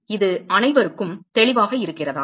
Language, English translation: Tamil, Is that clear to everyone